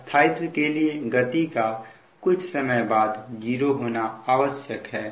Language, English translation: Hindi, so for stability, the speed must become zero